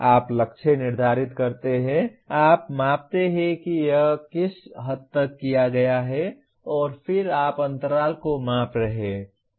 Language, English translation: Hindi, You set the target, you measure to what extent it has been done and then you are measuring the gap